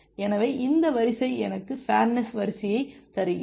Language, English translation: Tamil, So, this line gives me the fairness line